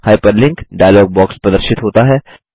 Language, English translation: Hindi, The Hyperlink dialog box appears